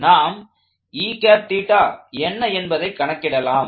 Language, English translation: Tamil, So, let us start making our calculations